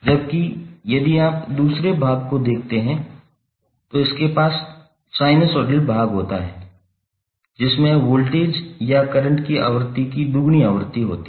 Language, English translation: Hindi, While if you see the second part, it has the sinusoidal part which has a frequency of twice the frequency of voltage or current